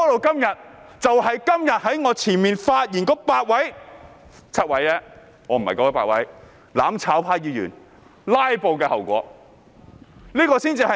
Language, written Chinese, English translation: Cantonese, 這就是今天在我之前發言的8位議員——只是7位——"攬炒派"議員"拉布"的後果。, This is the consequence brought forth by the filibusters of Members from the mutual - destruction camp the eight Members―seven only―who have spoken before me today